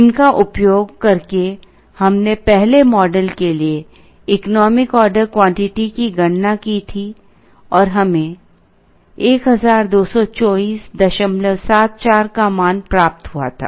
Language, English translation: Hindi, Using these we had calculated the economic order quantity for the first model and we had got a value of 1224